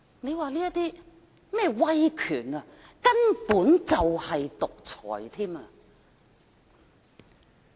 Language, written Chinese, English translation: Cantonese, 這種威權根本就是獨裁。, This kind of authority is nothing but dictatorial